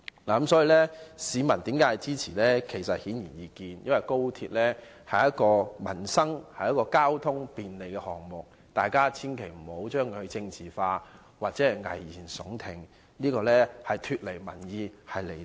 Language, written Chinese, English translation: Cantonese, 至於市民為何支持高鐵，這是顯而易見的，因為高鐵是便利交通的民生項目，所以大家千萬別把高鐵政治化，又或危言聳聽，這樣做只會脫離民意，是離地的。, It is because XRL is a livelihood project offering convenience in transport . For this reason please be sure not to politicize XRL or raise any alarmist talk . Such an act is simply detached from public opinion and out of touch with reality